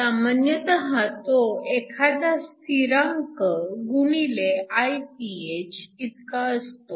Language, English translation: Marathi, So, Isc is essentially some constant k times Iph